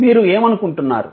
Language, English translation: Telugu, What you think